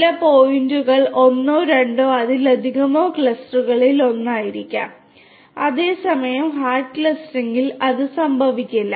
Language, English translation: Malayalam, Certain points may belong to two or more clusters together whereas, that cannot happen in hard clustering